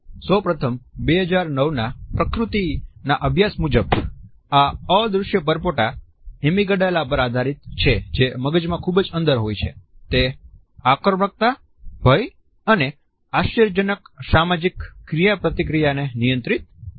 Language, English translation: Gujarati, Firstly according to a 2009 study in nature, these invisible bubbles are based on the Amygdala which is deep within the brain, it controls aggression, fear and unsurprisingly social interaction